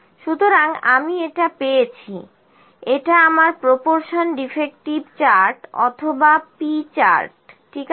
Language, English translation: Bengali, So, I have got this; this is my proportion defective chart or P chart, ok